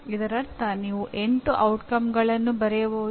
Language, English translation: Kannada, That means you can write up to 8 outcomes